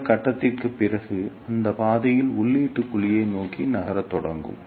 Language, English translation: Tamil, And after this point, it will start moving towards the input cavity in this path